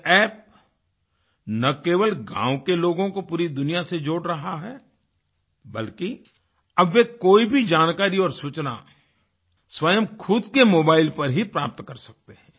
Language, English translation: Hindi, This App is not only connecting the villagers with the whole world but now they can obtain any information on their own mobile phones